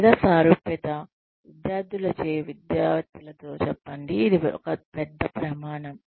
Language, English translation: Telugu, or Is likeability, say in academics by students, a bigger criterion